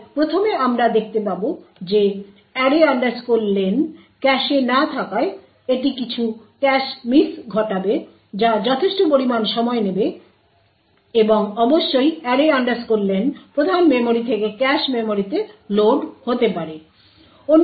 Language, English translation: Bengali, so first we would see that since array len is not in the cache it would cause some cache miss which would take constable amount of time and of course array len to be loaded from the main memory and to the cache memory